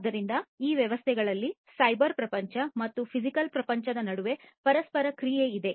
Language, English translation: Kannada, So, there is interaction between the cyber world and the physical world together in these systems